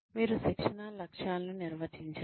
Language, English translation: Telugu, You define, the training objectives